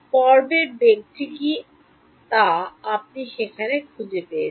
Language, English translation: Bengali, What is phase velocity did you find there